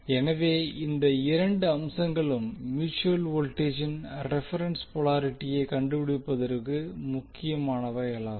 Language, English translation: Tamil, So this two things are important to find out the reference polarity of the mutual voltage